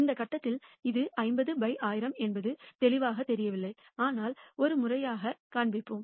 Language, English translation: Tamil, At this point it may not be clear that it is 50 by 1,000, but we will show this formally